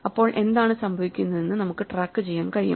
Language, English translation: Malayalam, So, that we can keep track of what is going on